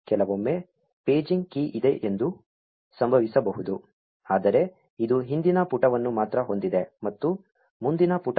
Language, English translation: Kannada, Sometimes, it may happen that there is a paging key, but it only has a previous page and no next page